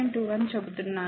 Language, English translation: Telugu, 21, but I am telling 1